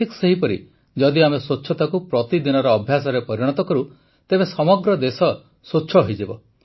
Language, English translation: Odia, Similarly, if we make cleanliness a daily habit, then the whole country will become clean